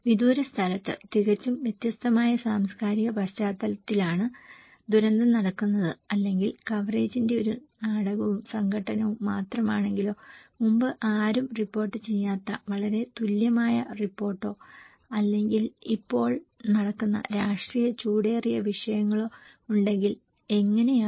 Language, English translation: Malayalam, The disaster is happening in an very different cultural settings in it faraway place or if there is a drama and conflict exclusiveness of coverage, very unique report where no one reported before or politically hot issues which is going on right now